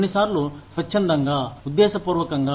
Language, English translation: Telugu, Sometimes, voluntarily, intentionally